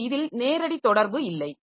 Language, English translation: Tamil, So, this is so there is no direct interaction